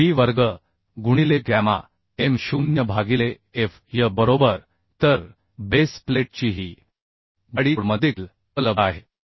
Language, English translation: Marathi, 3 b square into gamma m0 by fy or the thickness of the base plate can be found from this finally 2